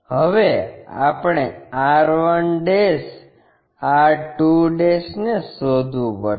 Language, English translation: Gujarati, Now, we have to locate r 1', r 2'